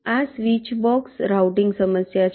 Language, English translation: Gujarati, this can be a switch box routing